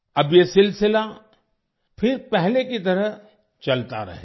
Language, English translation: Hindi, Now this series will continue once again as earlier